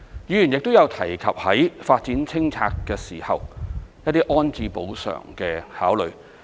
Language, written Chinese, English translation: Cantonese, 議員亦有提及在進行發展清拆時，一些安置補償的考慮。, Members also voiced their concern over the rehousing and compensation arrangement in the process of development and clearance